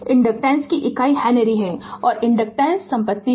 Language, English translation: Hindi, The unit of inductance is Henry and inductance is the property right